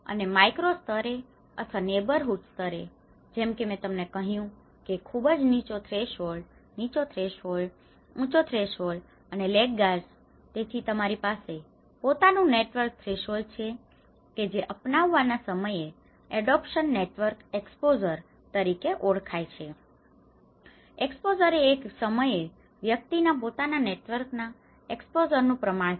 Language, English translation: Gujarati, And with the micro level or the neighbourhood level, as I told you that there is a very low threshold, low threshold, high threshold and the laggards, so you have the personal network threshold which is defined as an adoption network exposure at the time of adoption, exposure is a proportion of adopters in an individual's person network at a point of time